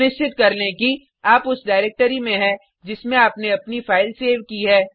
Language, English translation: Hindi, Make sure that you are in the directory in which you have saved your file